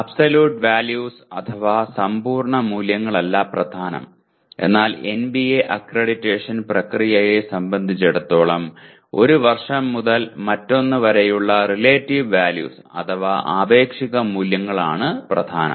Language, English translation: Malayalam, It is not the absolute values that matter but it is the relative values from 1 year to the other that is what matters in as far as NBA accreditation process is concerned